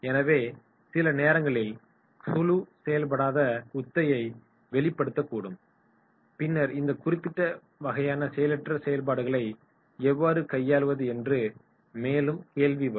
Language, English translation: Tamil, So there might be sometimes the group might be the dysfunctional behaviour may show and then the question arises that is how to handle these particular types of dysfunctional activities